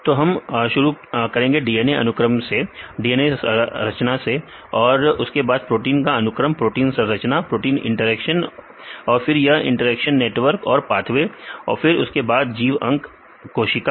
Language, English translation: Hindi, We start with the DNA sequence and then DNA structure and then protein sequence, protein structure, protein interactions and then this interact networks and the pathways then the organism the organ, tissue, up to the organism